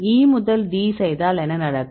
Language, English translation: Tamil, So, if you do E to D what will happen